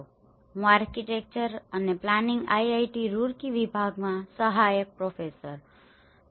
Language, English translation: Gujarati, My name is Ram Sateesh I am assistant professor in Department of Architecture and planning IIT Roorkee